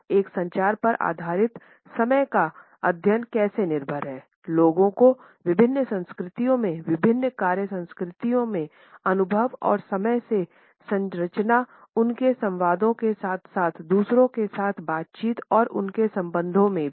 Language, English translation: Hindi, A communication based a study of time is dependent on how people in different cultures in different work cultures perceive and structure time in their interactions with other in their dialogues as well as in their relationships with others